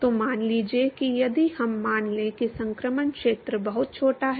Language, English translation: Hindi, So, suppose if we assume that the transition region is very small